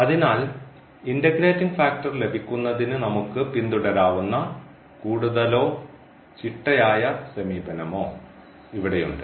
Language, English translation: Malayalam, So, here we have a more or rather systematic approach which we can follow to get the integrating factors